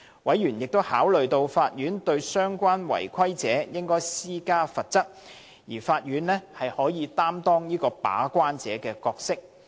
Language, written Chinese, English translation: Cantonese, 委員亦考慮到，法院對相關違規者施加適當的罰則，可擔當"把關者"的角色。, Moreover they consider that as non - compliance cases would be handled by the court it could play the role of gatekeeper in deciding the appropriate penalty to be imposed on the offenders concerned